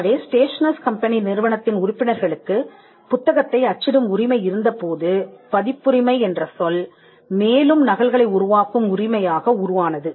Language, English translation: Tamil, So, when the members of the stationer’s company had the right to print the book, the word copyright evolved as a right to make further copies